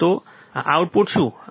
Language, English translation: Gujarati, So, what is the output